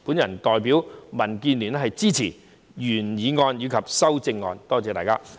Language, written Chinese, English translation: Cantonese, 我代表民建聯支持原議案及修正案，多謝大家。, On behalf of DAB I support the original motion and the amendment . Thank you